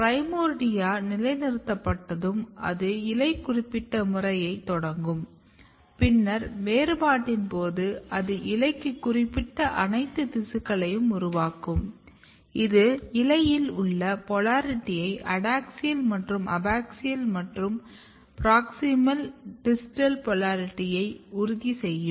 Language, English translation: Tamil, So, once the primordia is positioned then primordia will start the program, which is leaf specific program and then during the differentiation it will make all the tissues, which are specific for the leaf, it will ensure the polarity in the leaf which is adaxial and abaxial and the proximal and distal polarity